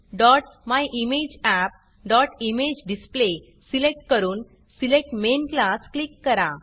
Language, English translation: Marathi, Select org.me.myimageapp.ImageDisplay and click on Select Main Class Say OK here